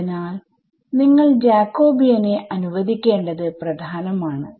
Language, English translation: Malayalam, So, it is important that you let the Jacobian